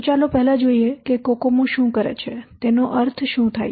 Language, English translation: Gujarati, So let's first see what does cocomo stands for